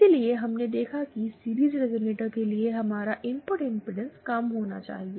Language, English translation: Hindi, So, we saw that for a series resonator, our input impedance should be low